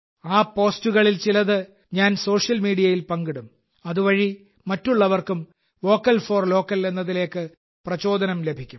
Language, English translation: Malayalam, I will share some of those posts on Social Media so that other people can also be inspired to be 'Vocal for Local'